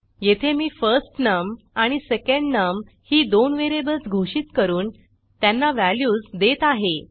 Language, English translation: Marathi, Here I am declaring two variables firstNum and secondNum and I am assigning some values to them